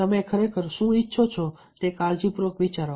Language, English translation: Gujarati, think carefully what you really want now ah